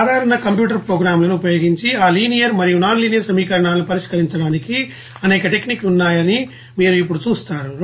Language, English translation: Telugu, Now you will see that there are several techniques to you know accomplish to solve this linear and nonlinear equations using general computer programs